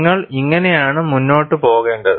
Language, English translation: Malayalam, This is how you proceed